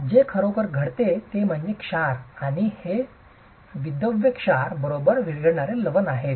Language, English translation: Marathi, So, what really happens is the salts and these are soluble salts, right